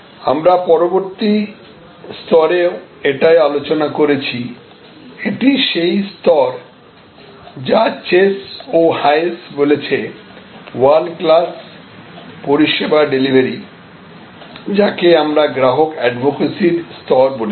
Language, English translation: Bengali, And we had also discussed that in the next level, this is the level, which is world class service delivery called by chase and hayes and we have called it customer advocacy level